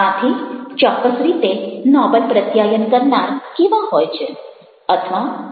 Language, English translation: Gujarati, so what exactly is the noble communicator